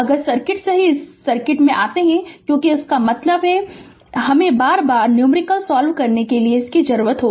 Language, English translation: Hindi, If you come to the circuit from the circuit only, because this we have to use again and again for solving your numericals